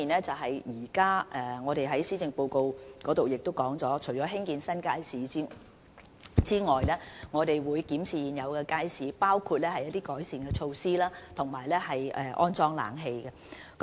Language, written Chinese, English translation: Cantonese, 正如施政報告提到，除興建新街市外，我們也會檢視現有街市，包括進行一些改善措施，以及安裝空調。, As mentioned in the Policy Address apart from the construction of new public markets we will review existing markets which include the implementation of certain improvement measures and the installation of air conditioners